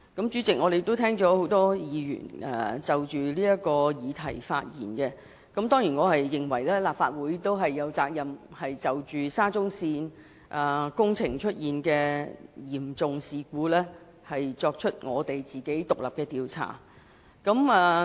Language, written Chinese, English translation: Cantonese, 主席，很多議員已就這議題發言，而我當然也認為立法會有責任就沙中線工程的嚴重事故展開獨立調查。, President a number of Members have already spoken on this subject and I surely reckon that the Legislative Council is duty - bound to conduct an independent investigation into the serious incident relating to the SCL project